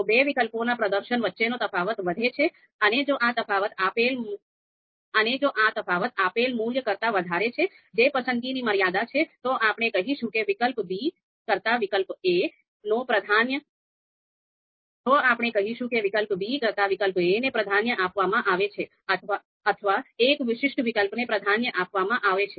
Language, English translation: Gujarati, So if the difference you know between the performance of two alternatives it grows, it is higher, and this you know difference is higher than a given value which is preference threshold, then we are you know clearly going to say that a alternative a is preferred over alternative b or one particular alternative is preferred over the you know other alternative